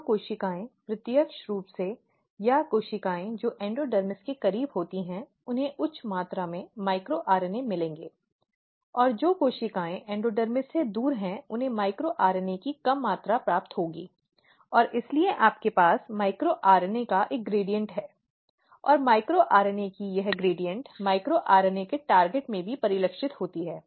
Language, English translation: Hindi, So, if you look here so the cells which are directly or the cells which are closer to the endodermis will receive high amount of micro RNA and the cells which are away from the endodermis they will receive low amount of micro RNA and that is why you have a gradient of micro RNA higher to lower side; and this gradient of micro RNA is also reflected in the targets of micro RNA